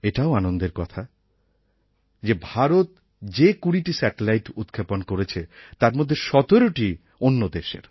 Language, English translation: Bengali, And this is also a matter of joy that of the twenty satellites which were launched in India, 17 satellites were from other countries